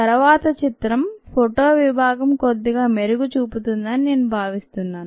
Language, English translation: Telugu, i think the next picture would show the photo section a little better